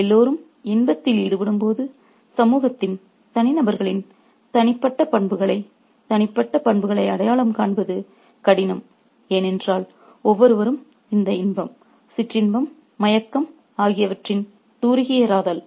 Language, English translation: Tamil, When everybody is indulging in pleasure, it becomes difficult to kind of identify the personal attributes, the personal characteristics of the individuals in society, because everybody is tired by this brush of pleasure, of sensuality, of drowsiness